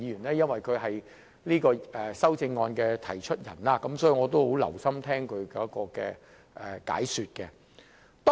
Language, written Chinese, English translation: Cantonese, 由於他是提出這項修正案的議員，所以我很留心聆聽他的解說。, As he is the mover of this amendment I have paid special attention to his elaboration